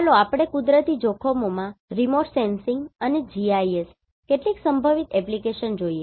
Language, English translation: Gujarati, Let us see some potential application of remote sensing and GIS in natural hazards